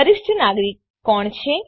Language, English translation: Gujarati, Who is a senior citizen